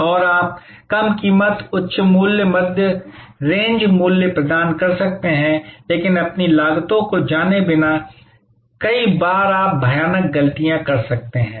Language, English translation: Hindi, And you can provide low price, high price, mid range price, but without knowing your costs, many times you can make horrible mistakes